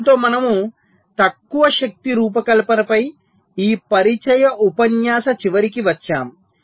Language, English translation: Telugu, so with this we come to the end of this introductory, introductory lecture on low power design